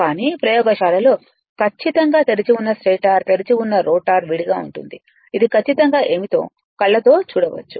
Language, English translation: Telugu, But, in the laboratory definitely you have that your stator open starter open rotor separately such that, you can see on your eyes that exactly what it is right